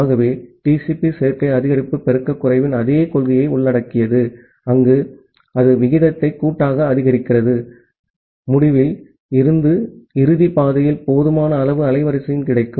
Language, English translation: Tamil, So, TCP incorporates the same principle of additive increase multiplicative decrease, where it increases the rate additively, whenever there is sufficient amount of bandwidth available in the end to end path